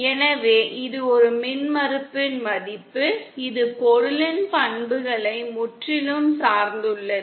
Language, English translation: Tamil, So this is a value of an impedance which is purely dependant on the properties of the material